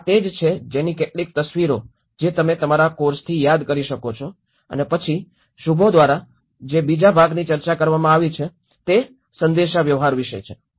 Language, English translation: Gujarati, So that is what some of the pictures which you can remember from your course and then the second part which Shubho have discussed is about the communications